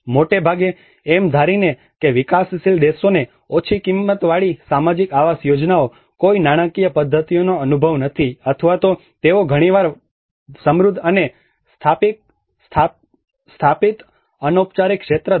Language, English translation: Gujarati, Often assuming that developing countries have no experience in low cost social housing schemes, no finance mechanisms, nor they do sometimes possess a profoundly rich and established informal sector